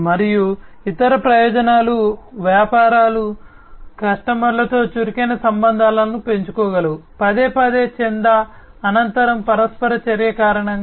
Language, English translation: Telugu, And other advantages are the businesses are able to foster active relationships with customers, due to the repeated post subscription interaction